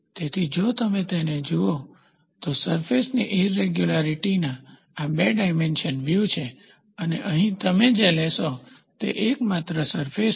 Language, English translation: Gujarati, So, if you look at it, this is the two dimensional view of a surface irregularity and here what you take is only surface